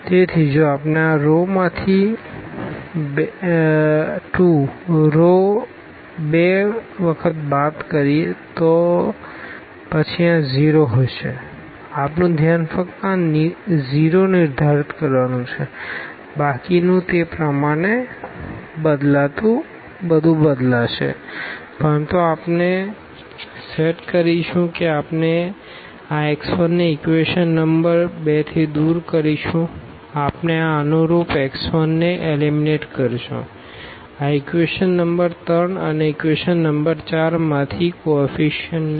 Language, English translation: Gujarati, So, if we subtract from this row 2, 2 times the row 1 then this will be 0, our focus is just to set this 0 rest everything will change accordingly, but we will set we will eliminate this x 1 from equation number 2, we will eliminate this corresponding to x 1, this coefficient from equation number 3 and also from equation number 4